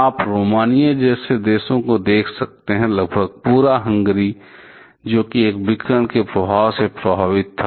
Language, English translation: Hindi, You can see even countries like Romania, almost entire of Hungary that was that was affected by this radiation effect